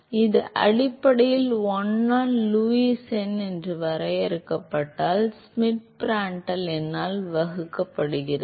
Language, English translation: Tamil, So, so this is basically 1 by so defined as Lewis number is defined as Schmidt divided by Prandtl number